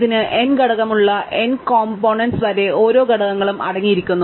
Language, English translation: Malayalam, It has n elements up into n components each containing one element